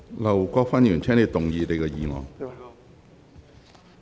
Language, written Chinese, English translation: Cantonese, 劉國勳議員，請動議你的議案。, Mr LAU Kwok - fan please move your motion